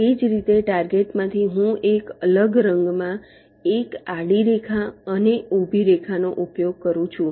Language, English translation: Gujarati, i am using a different colour, a horizontal line and a vertical line